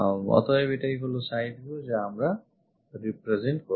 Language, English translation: Bengali, So, this is side view we represented